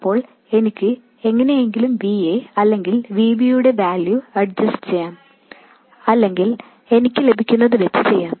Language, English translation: Malayalam, Then I can somehow adjust the values of VA or VB or just settle for what I get